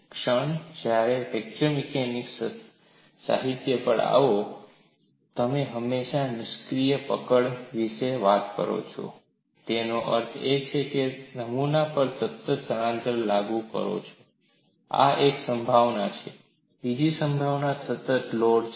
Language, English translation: Gujarati, The moment you come to fracture mechanics literature, you always talk about fixed grips; that means, we have constant displacement applied to the specimen, this is one possibility, another possibility is constant load, why do we do that